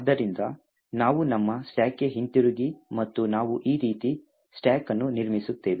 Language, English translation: Kannada, So, we go back to our stack and we build a stack as follows